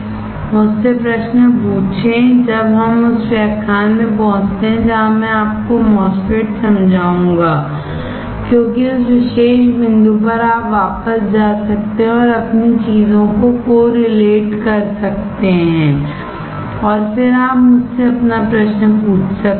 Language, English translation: Hindi, Ask me questions when we reach to the lecture where I am explaining you the MOSFET, because at that particular point you can go back and correlate your things and then you ask me your question